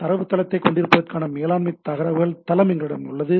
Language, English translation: Tamil, We have agent which is collecting data, we have a management information base to have the database